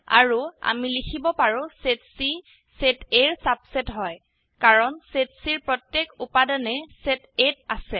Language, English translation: Assamese, And we can also write: set C is a subset of set A, as every element in C is in set A